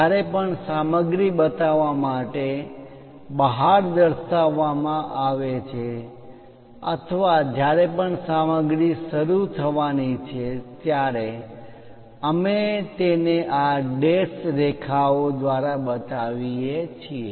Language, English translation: Gujarati, Whenever, material has been scooped out to show that or whenever there is a material is about to begin, we show it by these dashed lines